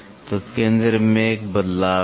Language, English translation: Hindi, So, there is a shift in the centre